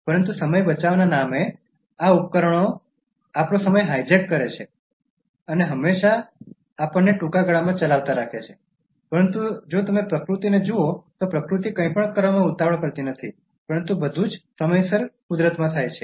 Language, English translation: Gujarati, But in the name of saving time, these devices they hijack our time and always keep us running short of time, but if you look at nature, nature does not hurry to do anything, but everything happens in nature in time